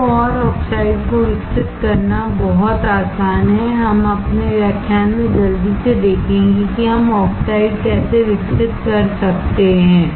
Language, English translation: Hindi, So, and it is very easy to grow oxide, we will see quickly in our lectures how can we grow the oxide